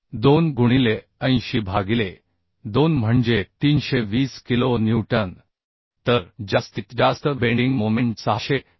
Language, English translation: Marathi, 2 into 80 by 2 that is 328 kilonewton so maximum bending strength is 672